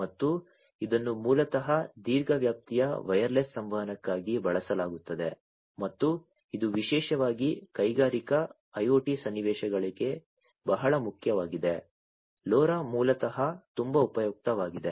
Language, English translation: Kannada, And it is used basically for long range wireless communication and that is very important particularly for Industrial IoT scenarios, LoRa basically is very useful